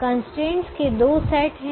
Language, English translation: Hindi, so there are three constraints